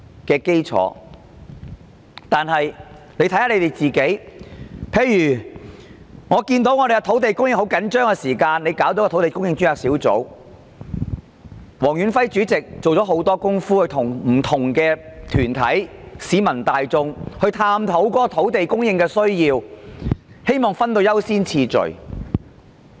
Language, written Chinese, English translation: Cantonese, 舉例而言，香港的土地供應十分緊張，政府便成立土地供應專責小組，黃遠輝主席做了很多工夫，跟不同團體和市民大眾一起探討土地供應的需要，希望訂下優先次序。, For instance given Hong Kongs very tight land supply the Government formed the Task Force on Land Supply under the chairmanship of Stanley WONG . Stanley WONG had made a lot of efforts to explore together with different groups and the general public the needs in respect of land supply with a view of setting a priority